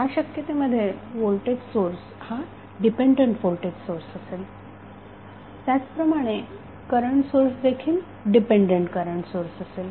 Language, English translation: Marathi, In this case voltage source would be dependent voltage source similarly current source would also be the dependent current source